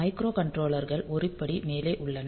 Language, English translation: Tamil, So, microcontrollers are 1 step ahead